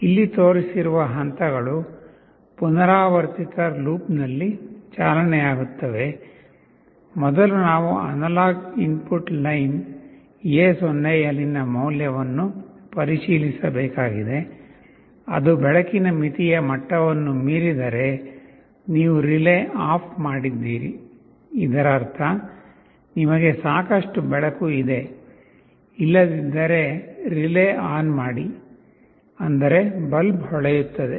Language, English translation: Kannada, The steps as shown here will be running in a repetitive loop First we will have to check the value on the analog input line A0, if it exceeds the threshold level for the light that we are trying to sense you turn off the relay; that means, you have sufficient light otherwise turn on the relay; that means, the bulb will glow